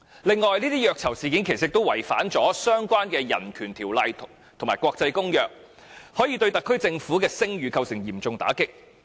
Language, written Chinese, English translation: Cantonese, 此外，這些虐囚事件也違反了相關的人權條例和國際公約，可以對特區政府的聲譽構成嚴重打擊。, Furthermore these incidents of torture violate relevant human rights legislation and international covenants possibly dealing a severe blow to the reputation of the SAR Government